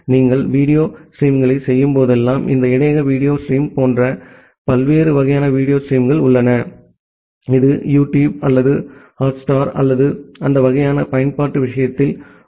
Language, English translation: Tamil, And whenever you are doing the video streaming, there are different kinds of video streaming, like this buffer video steaming, which is there in case of YouTube or Hotstar or that kind of application